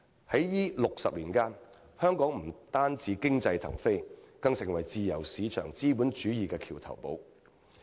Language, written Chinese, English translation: Cantonese, 在這60年間，香港不單經濟騰飛，更成為自由市場資本主義的橋頭堡。, During those 60 years Hong Kong not only achieved phenomenal economic growth but also became a bridgehead of free - market capitalism